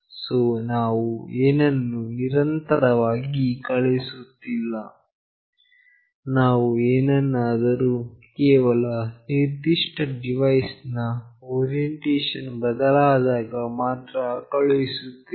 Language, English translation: Kannada, So, continuously we are not sending something, we are only sending something whenever there is a change in this particular device orientation